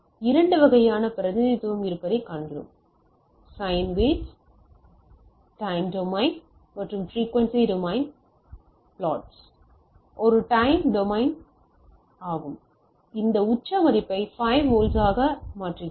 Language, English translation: Tamil, Now, we see there are 2 type of representation; the time domain and frequency domain plots of the sine wave like in this case, it is a time domain plots with time it is changing this peak value is 5 volt 5